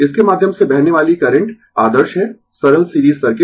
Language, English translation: Hindi, And current flowing through this is ideal simple series circuit right